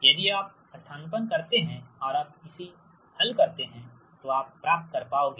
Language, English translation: Hindi, if you substitute and simplify right, you will get i